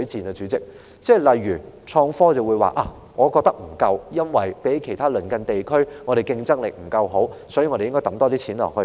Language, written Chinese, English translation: Cantonese, 例如有議員認為在創科方面投放的資源不足，因為相較其他鄰近地區，香港的競爭力不足，所以，政府應增加撥款。, For instance some Members consider that the resources invested in innovation and technology are insufficient and as Hong Kong is less competitive than other neighbouring regions the Government should increase funding in this regard